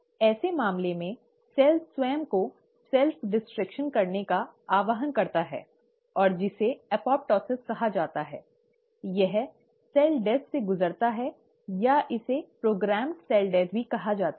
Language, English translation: Hindi, In such a case, the cell itself takes a call of self destruction and that is called as ‘apoptosis’, it undergoes cell death, or it is also called as programmed cell death